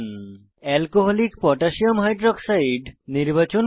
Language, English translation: Bengali, Select Alcoholic Potassium hydroxide(Alc.KOH)